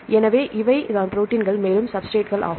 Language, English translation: Tamil, So, this is the protein these are the substrates right